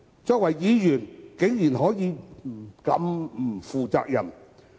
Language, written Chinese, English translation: Cantonese, 作為議員，他們竟然可以如此不負責任。, These Members are surprisingly very irresponsible